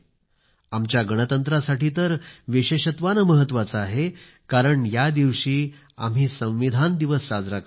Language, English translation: Marathi, This is especially important for our republic since we celebrate this day as Constitution Day